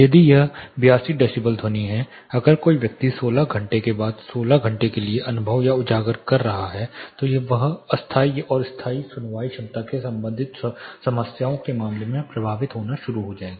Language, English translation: Hindi, If it is 82 decibel sound if a person is experiencing or exposed for 16 hours after 16 hours he will start getting impacted in terms of temporary and permanent hearing ability related problems